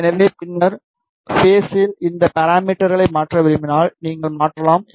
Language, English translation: Tamil, So, if at later stage, if you want to change these parameters, you can change